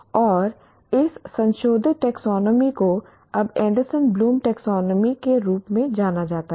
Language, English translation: Hindi, And this revised taxonomy is now known as Anderson Bloom taxonomy